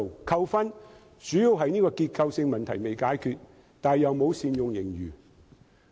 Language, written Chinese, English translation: Cantonese, 扣分的主要原因是結構性的問題仍未解決，卻又沒有善用盈餘。, The main reason for the deduction of marks is that while the structural problem remains unsolved the surplus is not put to good use